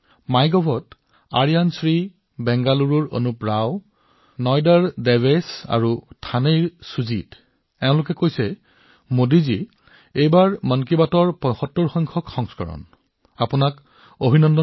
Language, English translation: Assamese, On MyGov, Aryan Shri Anup Rao from Bengaluru, Devesh from Noida, Sujeet from Thane all of them said Modi ji, this time, it's the 75th episode of Mann ki Baat; congratulations for that